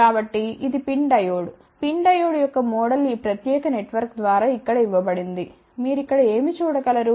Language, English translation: Telugu, So, this is the PIN Diode the model of the PIN Diode is given by this particular network over here, what you can see over here